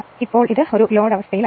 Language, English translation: Malayalam, Now this is on no load condition